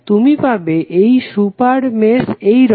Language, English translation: Bengali, You will get one super mesh like this, right